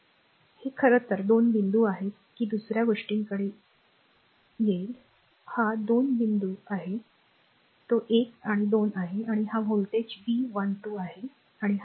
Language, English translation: Marathi, This is your actually 2 points say will come to that other thing, this is the 2 point this is 1 and 2 and this is the voltage say V 12 and this is the lamp right